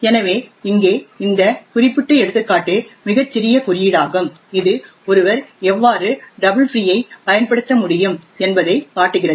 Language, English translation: Tamil, So this particular example over here is a very small code which shows how one could exploit a double free